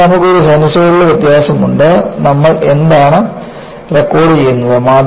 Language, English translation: Malayalam, So, you have a sinusoidal variation and what do you record